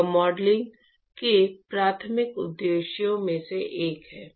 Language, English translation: Hindi, This one of the primary purposes of modeling